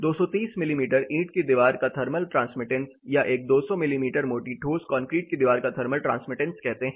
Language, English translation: Hindi, Say thermal transmittance of a 230 mm brick wall, thermal transmittance of a 200 mm thick solid concrete wall